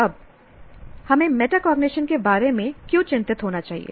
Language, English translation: Hindi, Now why should we be concerned about metacognition